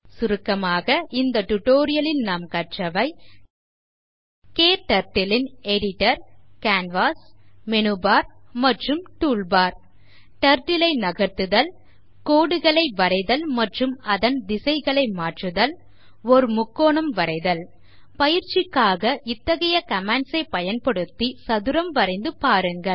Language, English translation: Tamil, In this tutorial, we have learnt about, KTurtles editor, canvas, menubar and toolbar Move Turtle Draw lines and change directions Draw a triangle As an assignment I would like you to draw a square